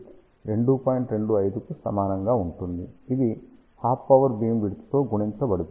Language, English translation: Telugu, 25 multiplied by half power beamwidth